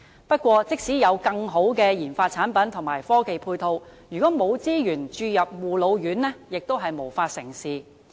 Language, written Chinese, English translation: Cantonese, 不過，即使有更好的研發產品和科技配套，如果沒有資源注入護老院，亦無法成事。, However even if there are better RD products and technological facilities nothing can be achieved without injection of resources into RCHEs